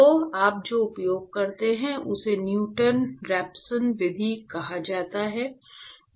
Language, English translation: Hindi, So, what you use is called the Newton Raphson method